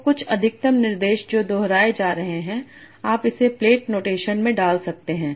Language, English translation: Hindi, So some structure that is being repeated, you can put it in a plate notation